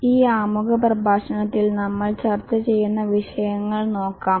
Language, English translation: Malayalam, Let's look at the topics that we will discuss in this introductory lecture